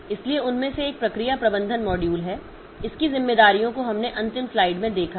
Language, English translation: Hindi, So, one of them is the process management module that we have seen its responsibilities in the last slide